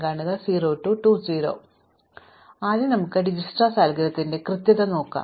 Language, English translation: Malayalam, So, let us first look at the correctness of Dijkstra algorithm